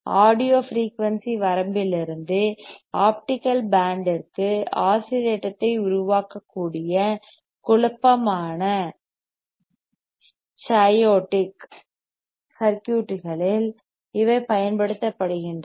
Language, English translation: Tamil, T right these are used in chaotic circuits which are capable to generate oscillation from audio frequency range to the optical band